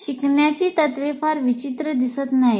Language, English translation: Marathi, The principles of learning do not look very odd